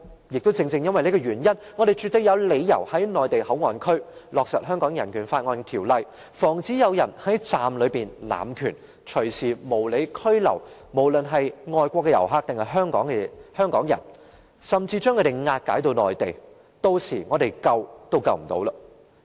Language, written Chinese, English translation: Cantonese, 因此，我們絕對有理由在內地口岸區落實《香港人權法案條例》，防止有人在站內濫權，隨時無理拘留外國遊客或香港人，甚至將他們押解至內地，屆時我們想救也救不了。, Hence we absolutely have got reasons to implement BORO in MPA to prevent anyone from abusing his power in the station to unreasonably detain foreign tourists or Hongkongers or even escort them to the Mainland . By that time we will be unable to rescue them even if we wish